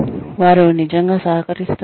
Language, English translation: Telugu, Are they really contributing